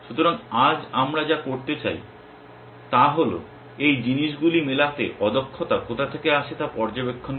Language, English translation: Bengali, So, what we want to do today now is to observe where does the inefficiency come from in matching these things